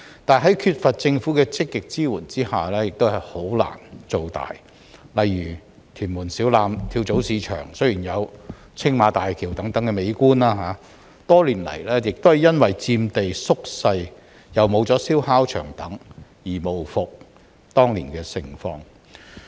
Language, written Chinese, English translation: Cantonese, 在缺乏政府的積極支援下，這些跳蚤市場難以"做大"，例如，屯門小欖跳蚤市場雖然有青馬大橋等美麗景觀，但多年來卻因為佔地縮小及燒烤場結業等，無復當年的盛況。, In the absence of active support from the Government it is difficult for them to expand their businesses . For example while Siu Lam Flea Market in Tuen Mun enjoys scenic views such as Tsing Ma Bridge it has lost its past glamour over the years due to the reduction in its area and the closure of the barbeque sites